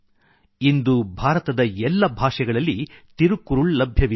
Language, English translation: Kannada, Today, Thirukkural is available in all languages of India